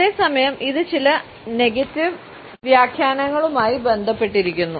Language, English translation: Malayalam, At the same time, it is associated with certain negative interpretations also